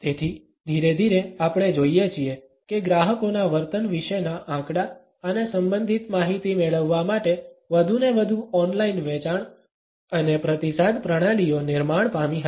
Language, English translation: Gujarati, So, gradually we find that increasingly online sales and feedback systems for getting data and related information about the customer behaviour were generated